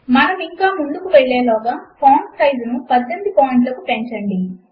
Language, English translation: Telugu, Before we go ahead, let us increase the font size to 18 point